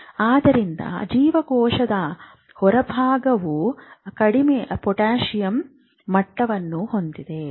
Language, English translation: Kannada, So cell exterior is you see is a low potassium high in